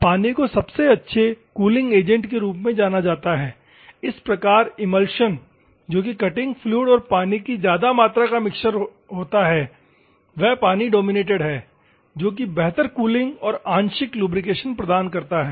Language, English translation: Hindi, Water is well known to be a the best cooling agent, thus emulsions that is a mixing of cutting fluid and water with a higher water content provide better cooling and partial lubrication